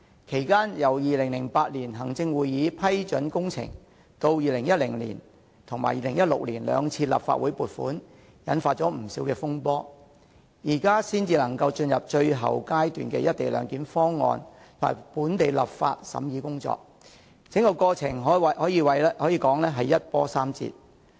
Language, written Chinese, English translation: Cantonese, 其間由行政會議於2008年批准工程，至2010年及2016年兩次立法會撥款引發不少風波後，現時才可進入最後階段，就關於"一地兩檢"的《條例草案》進行審議工作，整個過程可謂一波三折。, The Executive Council approved the project in 2008 and disputes arose in 2010 and 2016 when the Government applied to the Legislative Council for funding approval . At present the development has reached its final stage . The process concerning the scrutiny of the Bill can be described as full of twists and turns